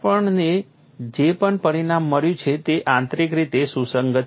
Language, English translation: Gujarati, Whatever the result that we have got is internally consistent